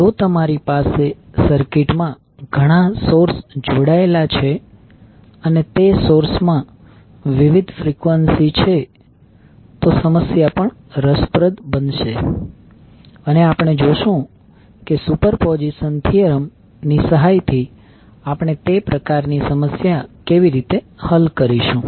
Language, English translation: Gujarati, So, if you have multiple sources connected in the circuit and those sources are having a different frequencies, then the problem will also become interesting and we will see how we will solve those kind of problems with the help of superposition theorem